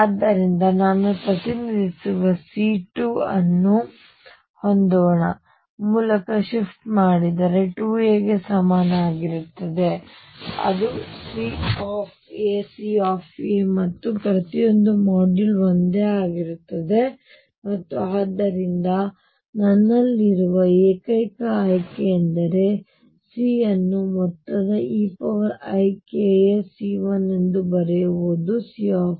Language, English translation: Kannada, So, I have C2 which is represented let us say by C 2 a shift by 2 a is equal to C a C a and modulus of each is the same and therefore, the only choice I have is write c as some e raise to i k a C 1 which is C a